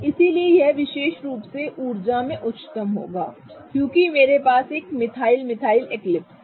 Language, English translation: Hindi, So, this particular confirmation will be highest in energy because I have a methyl methyl methyl eclipsing with each other